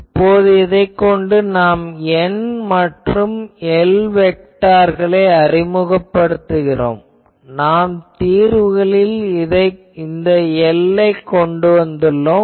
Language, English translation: Tamil, Now, with this thing we can introduce those N and L vectors that we have introduced from the solutions this L